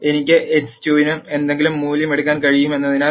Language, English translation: Malayalam, Since I can take any value for x 2